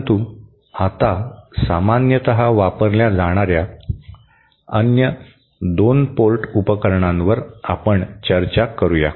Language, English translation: Marathi, But right now, let us discuss the other 2 port devices that are used commonly